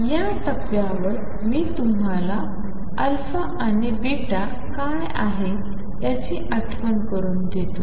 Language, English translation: Marathi, At this point let me also remind you what are